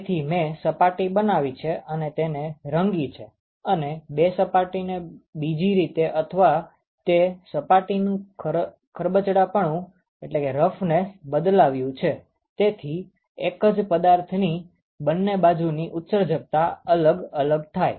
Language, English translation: Gujarati, So, I create the surface maybe I paint the surfaces, two surfaces in some other way, or I alter the surface roughness of that surface as such that the emissivity of the two sides of the same object is different ok